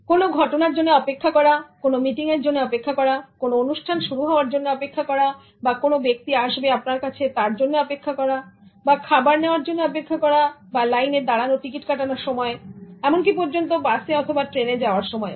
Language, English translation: Bengali, Waiting for events, waiting for meetings, waiting for a program to start, waiting for a person to come, standing up in queues to get your food, standing up in queues to get ticket, standing up in queues even to board the bus or a train